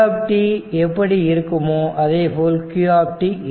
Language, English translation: Tamil, So, this you know that q is equal to c v